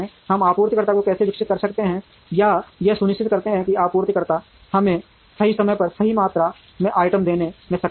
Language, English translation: Hindi, How do we develop the suppliers or ensure that the suppliers are able to give us the right quantity of items at the right time